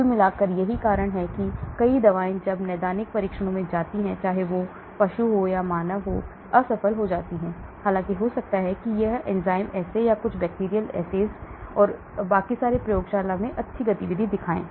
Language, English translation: Hindi, overall that is why many drugs when they go into clinical trials whether it is animal or human fail, although it may have shown very good activity in the lab in enzyme assays or some bacterial assays and so on